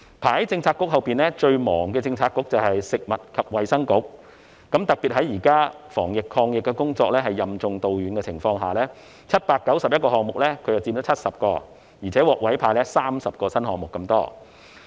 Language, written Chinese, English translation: Cantonese, 排在發展局之後，最繁忙的政策局是食物及衞生局，特別在現時防疫抗疫工作任重道遠的情況下，食物及衞生局在791個項目中佔了70個，而且還獲委派30個新項目。, Ranking next to it as the busiest Policy Bureau is the Food and Health Bureau . This is particularly the case at present when it is charged with the heavy and crucial responsibility of preventing and controlling the pandemic . Of the 791 initiatives 70 have been tasked to the Food and Health Bureau and it has also been assigned 30 new ones